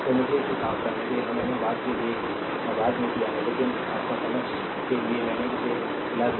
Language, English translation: Hindi, So, let me clean it, this I have done it later, but for your understanding I showed this one